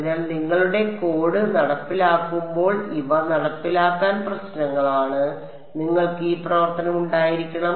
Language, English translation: Malayalam, So, these are implementation issues when you implement your code you should have this functionality